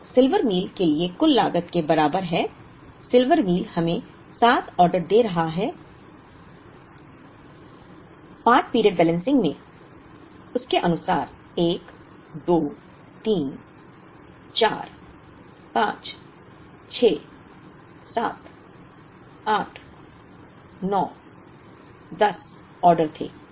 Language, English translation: Hindi, So, total cost for Silver Meal is equal to, Silver Meal is giving us 7 orders as against part period balancing had 1 2 3 4 5 6 7 8 9 10 orders